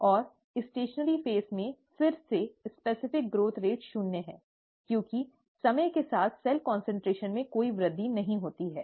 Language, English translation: Hindi, And, in the stationary phase, again, the specific growth rate is zero, because there is no increase in cell concentration with time